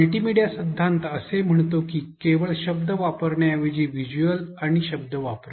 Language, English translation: Marathi, Multimedia principle says that add visuals and words instead of using words alone